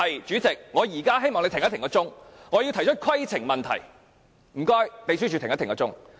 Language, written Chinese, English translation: Cantonese, 主席，我現在希望你暫停計時器，我要提出規程問題，請秘書處暫停計時器。, President now I hope you can pause the timer as I would like to raise a point of order . Will the Secretariat please stop the timer